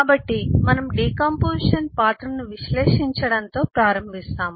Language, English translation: Telugu, so we start with eh analyzing the role of decomposition